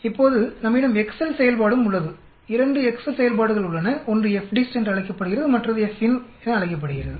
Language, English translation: Tamil, Now we also have the Excel function, there are 2 Excel functions, one is called the FDIST other is called the FINV